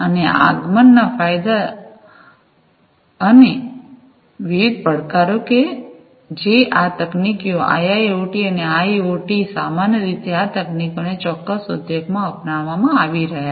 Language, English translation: Gujarati, And the advent advantages, and the different challenges, that are going to be encountered in the adoption of these technologies IIoT and IoT, in general, these technologies in a particular industry